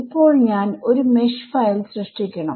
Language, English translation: Malayalam, So, generate a mesh file store it